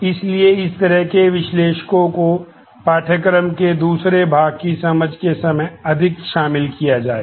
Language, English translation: Hindi, So, these kind of analysts will be involved the more with the understanding of the second part of the course